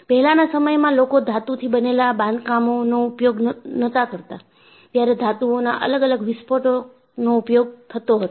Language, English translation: Gujarati, So, earlier, people were not using constructions made of metals, there was an explosive use of metals